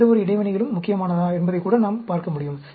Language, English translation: Tamil, We can even look at whether any interactions are important